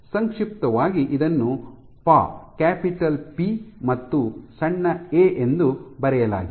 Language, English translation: Kannada, So, in short it is written as Pa, capital P and small a